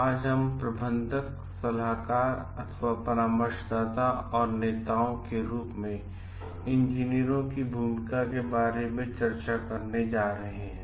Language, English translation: Hindi, Today we are going to discuss about the Role of Engineers as Managers Consultants and Leaders